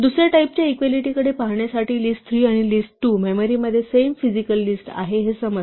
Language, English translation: Marathi, To look at the second type of equality that list3 and list2 are actually the same physical list in the memory